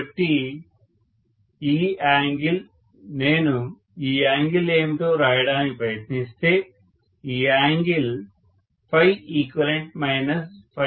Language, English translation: Telugu, So this angle, if I try to write what this angle is, this angle will be phi equivalent minus phi L